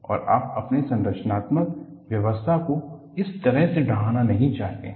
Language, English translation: Hindi, And, you do not want to have your structural systems to collapse like that